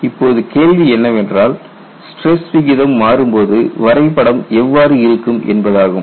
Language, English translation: Tamil, Now, the question is when the stress ratio changes, how the graph looks like